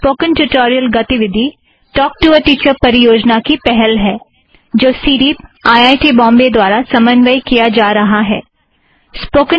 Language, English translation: Hindi, Spoken tutorial activity is the initiative of the Talk to a Teacher project of the mission, coordinated by CDEEP, IIT Bombay: cdeep.iitb.ac.in